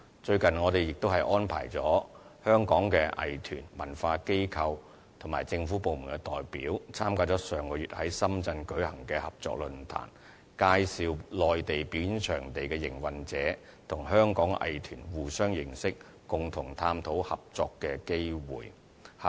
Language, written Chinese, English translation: Cantonese, 最近，我們亦安排了香港的藝團、文化機構和政府部門的代表參加上月在深圳舉行的合作論壇，介紹內地表演場地營運者予香港藝團，讓他們互相認識，共同探討合作機會。, Recently we have also made arrangements for representatives of Hong Kong arts groups cultural institutions and government departments to attend a cooperation forum held in Shenzhen last month . In the meantime Hong Kong arts groups were introduced to the operators of performing venues on the Mainland so that they came to know one another and explored together the possibility of collaborations